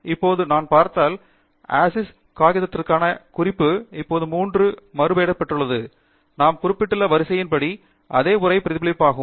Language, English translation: Tamil, Now, if I view, you can see that the reference for Aziz paper has now renamed as 3 as per the sequence that we have referred and the same will be reflected also at the bottom of the text